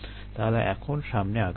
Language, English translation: Bengali, let us move forward now